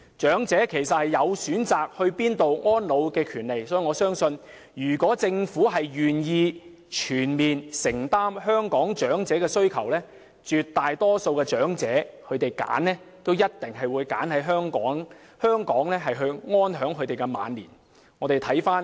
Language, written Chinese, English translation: Cantonese, 長者其實有權選擇去哪裏安老，我相信如果政府願意全面承擔香港長者的需要，絕大多數的長者也會選擇留在香港安享晚年。, Actually elderly persons should enjoy the right to choose where they spend their advanced years . If the Government is willing to provide for all their needs I believe the great majority of elderly persons will choose to stay in Hong Kong contentedly for the rest of their years